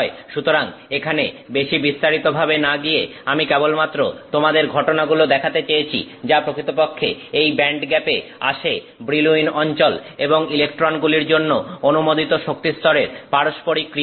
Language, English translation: Bengali, So, without going into much detail here, I just wanted to show you the fact that actually the band gap comes due to an interaction between the Brillwan zones and the allowed energy levels of the free electrons